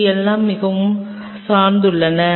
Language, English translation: Tamil, It all depends very